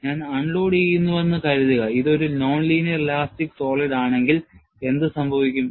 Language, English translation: Malayalam, Suppose, I unload, what would happen, if it is a non linear elastic solid